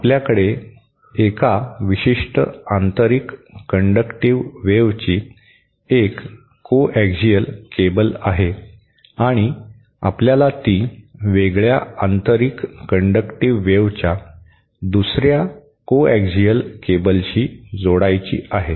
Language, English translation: Marathi, That is we have one coaxial cable of a particular inner conductive wave and we want to connect it to another coaxial cable of are different inner conductive wave